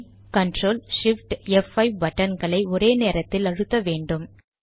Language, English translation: Tamil, Then enter, CTRL SHIFT and F5 keys simultaneously